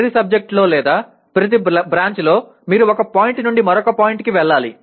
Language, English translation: Telugu, In every subject or every branch you have to go from one point to the other